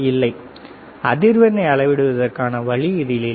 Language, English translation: Tamil, No, there is no option of measuring the frequency